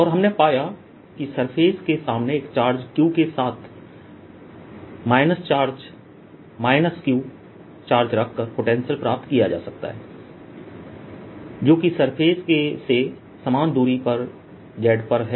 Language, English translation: Hindi, and we found that the potential can be obtained by putting a minus charge, minus q charge for a charge q in front of the surface which is at a distance, z at the same distance from the surface